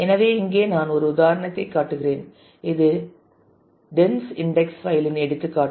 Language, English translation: Tamil, So, here I show an example and this is example of dense index file